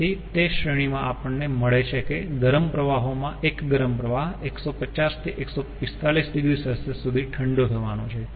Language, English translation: Gujarati, so in that range we find that ah, ah, the hot stream, one hot stream is to be cooled from one fifty to one forty five degree celsius